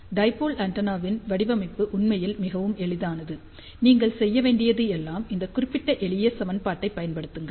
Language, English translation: Tamil, So, the design of dipole antenna actually is very simple, all you need to do it is use this particular simple equation